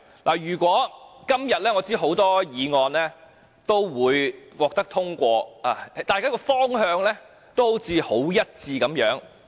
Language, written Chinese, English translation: Cantonese, 我知道今天有多項議案均會獲得通過，大家也好像方向一致。, I know that today a number of motions will be passed; it seems like we are unanimous in terms of direction